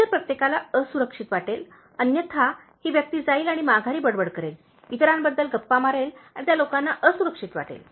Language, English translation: Marathi, Everybody else will feel insecure, so otherwise this person will go and then backbite, gossip about others and make those people feel insecure